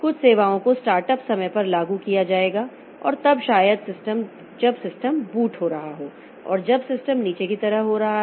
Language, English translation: Hindi, Some services they will be invoked at the start of time and then maybe when the system is getting up and when the system is getting down like that